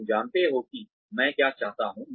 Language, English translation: Hindi, You know, what I want